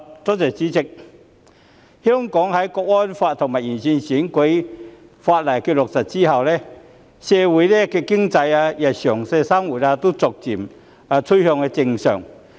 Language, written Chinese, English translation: Cantonese, 代理主席，香港在落實《香港國安法》和完善選舉法例後，社會經濟及日常生活逐漸趨向正常。, Deputy President Hong Kongs society economy and our daily living have been gradually getting back to normal upon the implementation of the National Security Law and improvement of electoral legislation